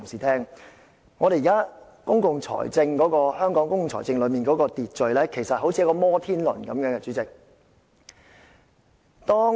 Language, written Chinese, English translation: Cantonese, 代理主席，現時香港公共財政的秩序其實有如一個"摩天輪"。, Deputy President at present the order of public finance in Hong Kong can actually be likened to a Ferris wheel